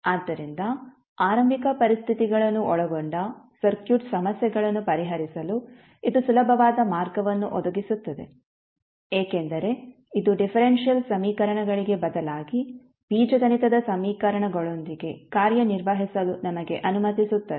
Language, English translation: Kannada, So it provides an easy way to solve the circuit problems involving initial conditions, because it allows us to work with algebraic equations instead of differential equations